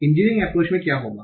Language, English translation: Hindi, So this is what is engineering approach